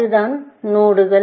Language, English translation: Tamil, That is the node